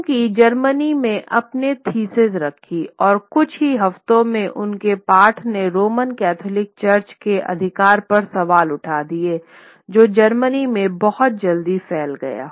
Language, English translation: Hindi, He put up his thesis within in Germany and within the space of a few weeks his text questioning the authority of the of the Roman Catholic Church spread across Germany very very sort of quickly